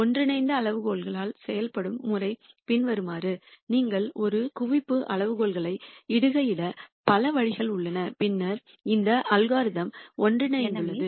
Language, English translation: Tamil, And the way the convergence criteria works is the following there are many ways in which you could you could post a convergence criteria and then say this the algorithm has converged